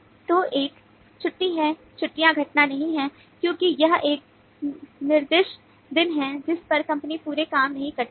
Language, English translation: Hindi, holidays are not event because that is a designated day on which the company does not work as a whole